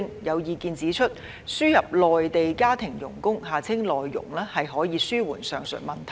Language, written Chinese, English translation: Cantonese, 有意見指出，輸入內地家庭傭工可紓緩上述問題。, There are views that the importation of Mainland domestic helpers MDHs may alleviate the aforesaid problems